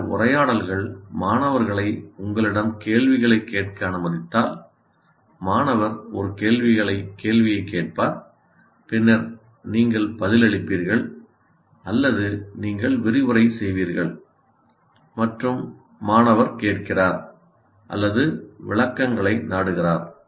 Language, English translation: Tamil, These conversations would mean if you allow students to ask you questions, student will ask a question, then you answer, or other times you are presenting and the student is listening or possibly seeking clarifications